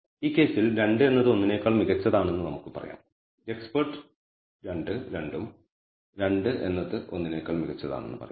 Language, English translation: Malayalam, In this case experts opin ion is that 2 is let us say better than 1, expert 2 also says 2 is better than 1